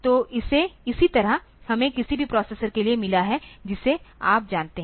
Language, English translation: Hindi, So, similarly we have got for any processor that you have now